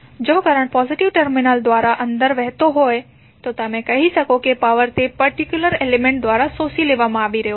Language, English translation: Gujarati, If the current is flowing inside the element then the inside the element through the positive terminal you will say that power is being absorbed by that particular element